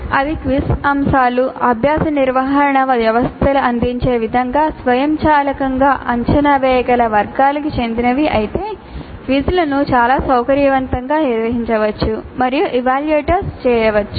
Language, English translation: Telugu, If all quiz items belong to categories that can be readily evaluated automatically as offered by the learning management systems then the quizzes can be very conveniently administered and evaluated